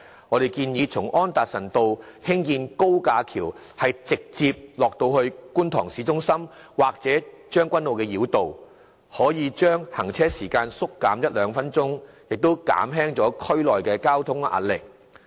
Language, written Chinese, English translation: Cantonese, 我們建議從安達臣道興建高架橋直達觀塘市中心或將軍澳繞道，如此可把行車時間縮減一至兩分鐘，有助紓緩區內交通壓力。, We propose to build an elevated flyover extending from Anderson Road straight through to Kwun Tong town centre or Tseung Kwan O Road . This will shorten the travelling time by one or two minutes and help alleviate the traffic pressure